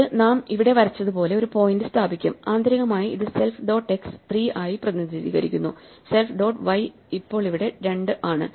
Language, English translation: Malayalam, And this will set up a point that we have drawn here, which internally is represented as self dot x is 3 and self dot y is 2